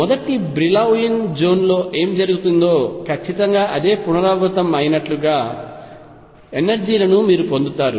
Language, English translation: Telugu, You will get energies which are like this, exact repetition of what is happening in the first Brillouin zone